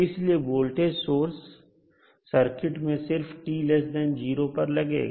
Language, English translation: Hindi, So the voltage source is applied to the circuit only when t less than 0